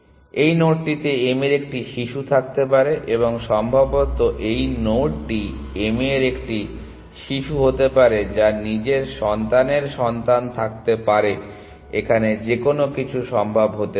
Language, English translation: Bengali, So, this node could have been a child of m and maybe this node could have been a child of m which could have its own children child here anything is possible essentially